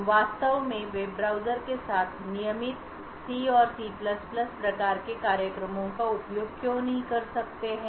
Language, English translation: Hindi, Why cannot we actually use regular C and C++ type of programs with web browsers